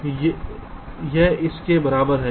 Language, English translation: Hindi, so this is equivalent to this